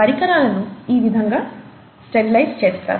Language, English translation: Telugu, How are instruments sterilized